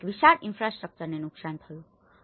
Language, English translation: Gujarati, This is a huge infrastructure has been damaged